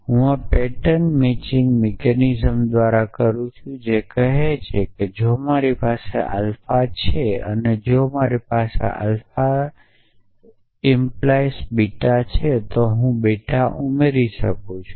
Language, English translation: Gujarati, I do it by this pattern matching mechanism which says that if I have alpha and if I have alpha implied beta then I can add beta essentially